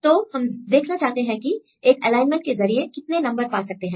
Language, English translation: Hindi, So, we want to see there are various numbers you get depending upon this one alignment